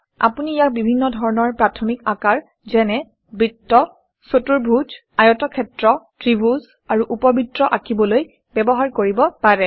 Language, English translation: Assamese, You can use it to draw a variety of basic shapes such as circles, squares, rectangles, triangles and ovals